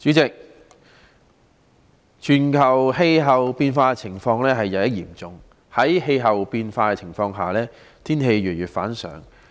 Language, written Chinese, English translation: Cantonese, 代理主席，全球氣候變化的情況日益嚴重，在氣候變化的情況下，天氣越來越反常。, Deputy President the problem of global climate change has become increasingly serious . Due to climate change the weather has been more abnormal than ever